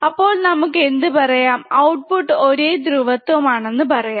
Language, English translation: Malayalam, So, we can also say in the output results in the same polarity right